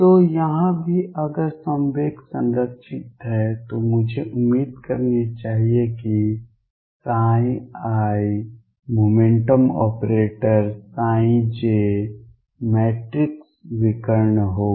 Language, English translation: Hindi, So, here also if momentum is conserved I should expect that psi i momentum operator psi j matrix will be diagonal right